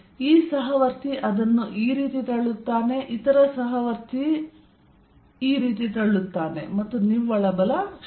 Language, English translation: Kannada, This fellow pushes it this way, the other fellow pushes this way, and the net force is 0